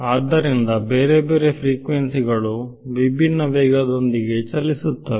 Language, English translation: Kannada, So, different frequencies travel with different speeds ok